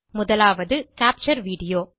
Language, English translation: Tamil, The first option is Capture Video